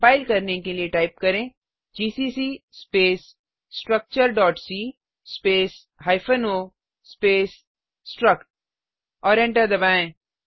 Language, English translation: Hindi, To compile type gcc space structure.c space hyphen o space struct and press Enter To execute type ./struct